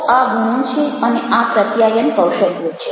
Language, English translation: Gujarati, so these are the qualities and these are the communication skills